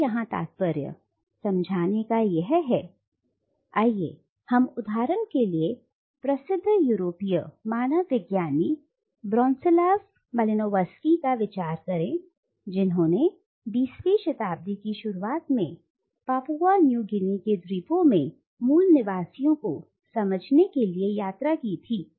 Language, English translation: Hindi, And to understand what I mean here, let us consider for example the famous European anthropologist Bronislaw Malinowski who travelled in the early 20th century to the islands of Papua New Guinea to study the natives in their “original” setting